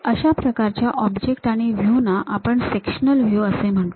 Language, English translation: Marathi, Such kind of objects or views we call half sectional views